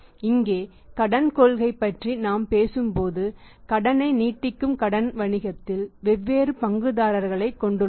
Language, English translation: Tamil, Here credit policy when we talk about that the credit extending the credit we have the different stakeholders in the business